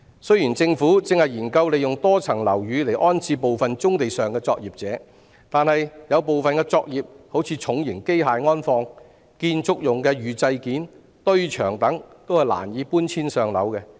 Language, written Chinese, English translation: Cantonese, 雖然政府正研究利用多層樓宇安置部分棕地上的作業者，但有部分作業例如重型機械安放、建築用的預製件和堆場等，也是難以搬遷上樓的。, Although the Government is studying the accommodation of some operators on brownfield sites in multi - storey buildings some operations for example the storage of heavy machinery and pre - fabricated parts for construction usage container depots and the like can hardly be moved upstairs